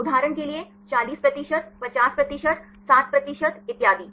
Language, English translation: Hindi, For example, 40 percent, 50 percent, 60 percent so on